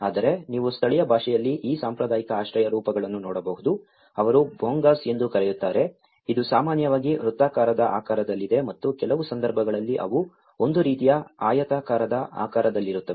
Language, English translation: Kannada, Whereas, you can see these traditional shelter forms in local language they call also the Bhongas which is normally there in circular shape and in some cases they are in a kind of rectangular shape